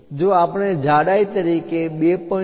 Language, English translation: Gujarati, If we are using 2